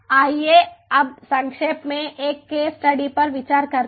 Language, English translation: Hindi, let us now briefly consider a case study